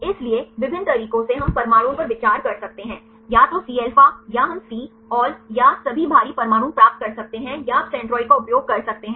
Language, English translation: Hindi, So, there various ways we can consider the atoms, either Cα or we can get Cβ or all heavy atoms or you can use centroid